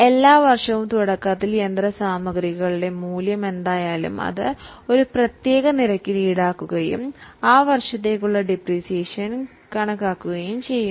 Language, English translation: Malayalam, Now, every year whatever is a value of machinery at the beginning, we charge it at a particular rate and calculate the depreciation for that year